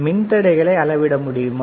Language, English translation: Tamil, Can you measure the devices